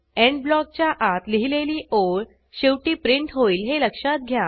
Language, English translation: Marathi, Notice that: The line written inside the END block is printed last